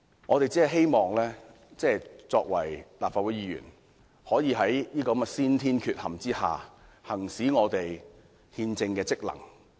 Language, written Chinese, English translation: Cantonese, 我們身為立法會議員，只是希望能夠在這種先天缺陷下，行使我們的憲政職能。, As a Member I can only discharge my constitutional duty within the constraint imposed by this inherent defect of our society